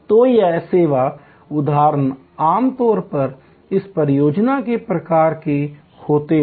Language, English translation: Hindi, So, these service instances are usually of this project type